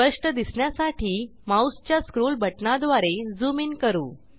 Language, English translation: Marathi, I will zoom in using the scroll button of the mouse